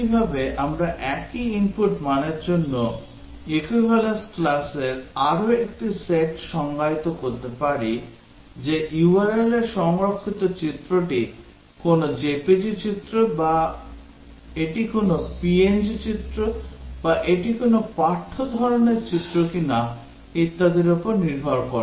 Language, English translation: Bengali, Similarly, we can define another set of equivalence classes for same input value depending on whether the image stored at the URL is a JPEG image or is it a png image or is it a text type of image and so on